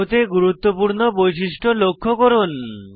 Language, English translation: Bengali, * Highlight the important features in the molecule